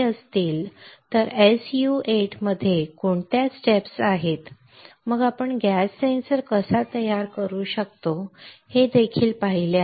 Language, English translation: Marathi, Within an s u 8 what are the steps then we have also seen how we can fabricate a gas sensor right